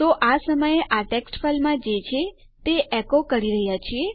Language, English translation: Gujarati, So, we are just echoing out whatever is in this text file at the moment